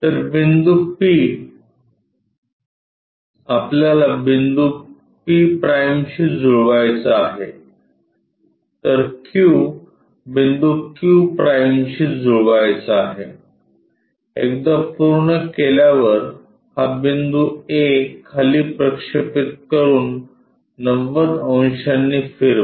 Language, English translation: Marathi, So, P point we have to map to p’ small letter q point we have to map to q’, once done project this a point all the way down rotate it by 90 degrees